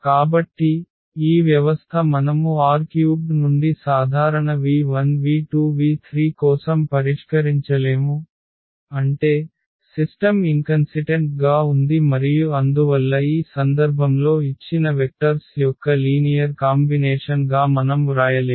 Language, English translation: Telugu, So, this system we cannot solve for general v 1 v 2 v 3 from R 3; that means, the system is inconsistent and hence we cannot write down in this case as a linear combination of these given vectors